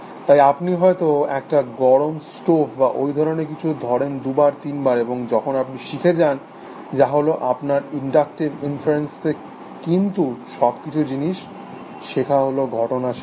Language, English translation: Bengali, So, maybe you touch a hot stove or something like that, two, three times, and then you learn, that is again inductive inferences essentially, but to learn all kinds of things to learn facts